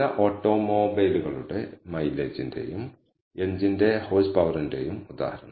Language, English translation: Malayalam, So, here is a case example of mileage of some auto automobiles and the horse power of the engine